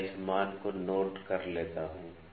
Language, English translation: Hindi, So, let me note down this value